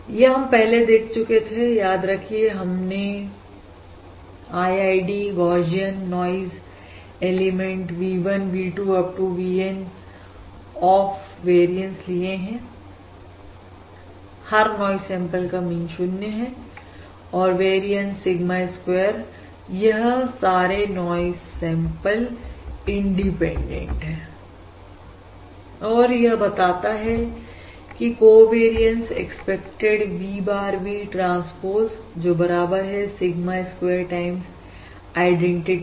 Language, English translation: Hindi, remember this is we are considering 0 mean IID, Gaussian noise aliments V1, V2… Up to VN of variance, that is, each noise sample has mean 0 variance Sigma square and these noise samples are independent implies, which implies the covariance expected V bar, V bar transpose is equal to Sigma square times identity